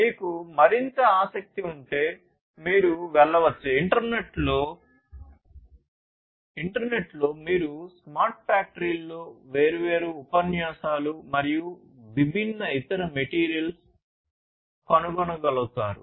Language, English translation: Telugu, And if you are further interested you can go through, in the internet you will be able to find lot of different other lectures and different other materials on smart factories